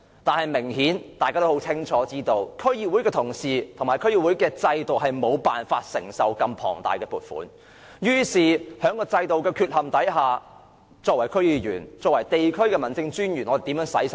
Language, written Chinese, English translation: Cantonese, 但是，大家都知道，區議會的同事和區議會制度無法承受如此龐大的撥款，於是在制度存有缺陷的情況下，區議員和地區的民政事務專員如何花掉這筆款項呢？, But as we all know DC members and the system could not handle such big sums so due to the deficiency of the system DC members and District Officers have to rack their brains about how they can spend the money